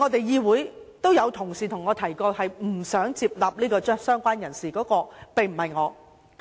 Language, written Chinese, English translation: Cantonese, 議會內也有同事向我反映，不想接納加入"相關人士"，而這個人並非我本人。, An Honourable colleague in this Council has also relayed to me a reluctance to accept the addition of related person and this colleague is not me